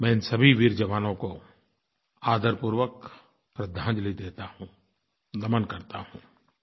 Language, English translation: Hindi, I respectfully pay my homage to all these brave soldiers, I bow to them